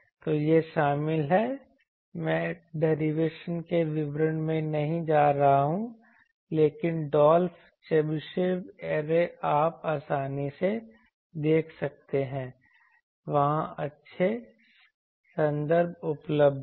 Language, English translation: Hindi, So, this is involved I am not going into details of derivation, but Dolph Chebyshev array you can easily see there are good references available